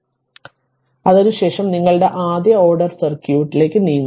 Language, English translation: Malayalam, So, after that we will move to your first order circuit